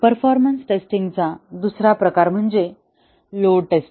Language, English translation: Marathi, Another type of performance testing is the load testing